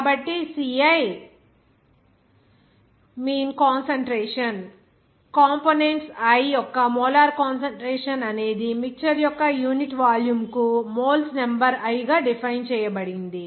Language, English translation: Telugu, So, ci mean concentration, molar concentration of components i is defined as the number of moles of i present per unit volume of mixture